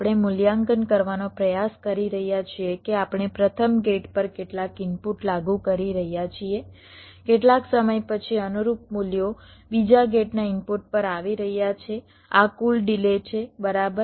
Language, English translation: Gujarati, we are trying to evaluate that we are applying some input to the first gate after some time, after how much time the corresponding values are coming to the input of the second gate, this total delay, right now